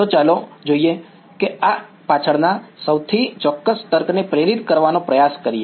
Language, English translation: Gujarati, So, let us see let us try to motivate the most specific reasoning behind this ok